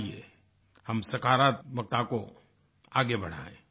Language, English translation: Hindi, Come, let us take positivity forward